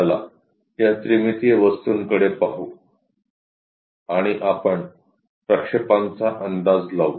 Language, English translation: Marathi, Let us look at this three dimensional object and we have to guess the projections